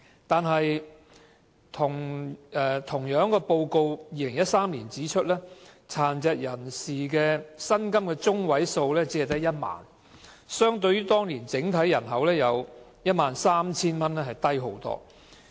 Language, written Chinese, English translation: Cantonese, 不過 ，2013 年報告亦指出，殘疾人士的薪金中位數只有1萬元，遠較當年整體人口的薪金中位數 13,000 元為低。, However the 2013 report further highlighted that the median monthly employment earnings of PWDs was only 10,000 which was much lower than the median employment earnings of 13,000 of the overall population back then